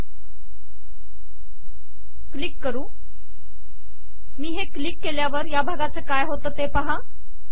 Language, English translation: Marathi, So as I do it, lets click this, look at this as I click what happens to this part